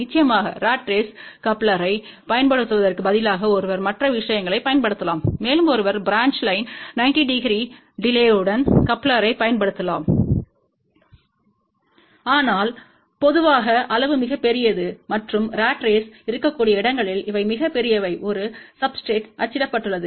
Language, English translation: Tamil, Of course, instead of using a ratrace coupler, one can use other things also one can use branch line coupler with 90 degree delay, but generally it is not very preferable; one can use waveguide magic tee, but generally the size is very large and these are very bulky where a ratrace can be printed on a substrate